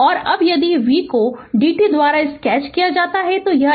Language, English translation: Hindi, And now if you sketch del your d v by d t, so it is a delta function